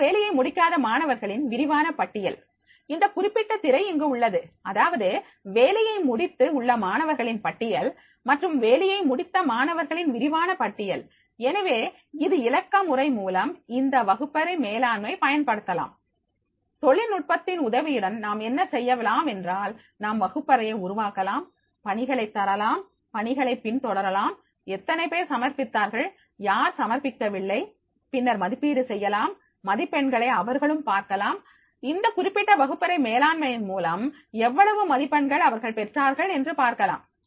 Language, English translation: Tamil, ) The detailed list of students who have not completed their work, this particular screenshot is there, that is the list of the students who have completed their work and the list of the students in detail who have not completed their work, so with the help of this classroom management through this digital, with the help of technology what we can do that is we can create the classroom, we can give the assignments, we can track the assignments, with the how many have submitted, who have not submitted, then we can evaluate that and they can also see their marks that what marks they have got from this particular classroom management